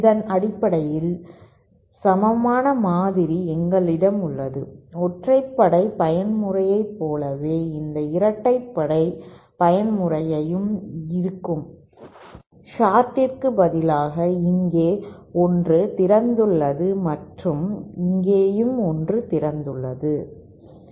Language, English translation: Tamil, And based on this, we have this equivalent model of for the even mode which is exactly the same as odd mode, except that instead of short, there is an open here and there is an open here